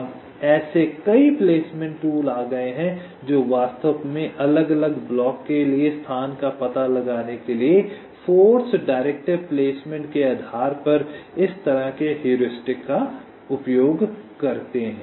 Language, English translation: Hindi, now there has been a number of such placement tools which use this kind of heuristic, based on force directive placement, to actually find out the location for the different blocks